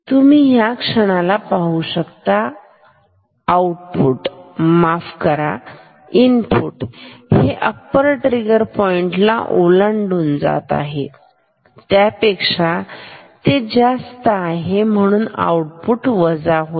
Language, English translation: Marathi, So, you see at this moment, output is sorry input is crossing the upper trigger point is going above this; so output will become negative